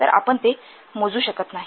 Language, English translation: Marathi, So you cannot measure them